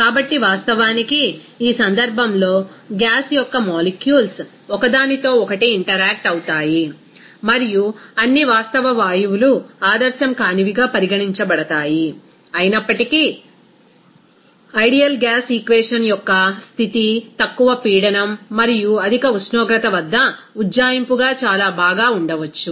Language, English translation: Telugu, So, in this case in reality, the molecule of gas does interact with each other and all real gases will be considered as non ideal, even though the ideal gas equation of state may be a very good approximation at low pressure and high temperature